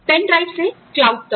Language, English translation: Hindi, To pen drives, to the cloud